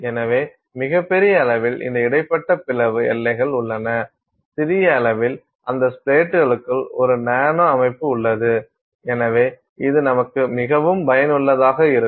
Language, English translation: Tamil, So, largest scale you have these inter splat boundaries, at the smaller scale you have a nanostructure within those splats, you have a nanostructure within those splats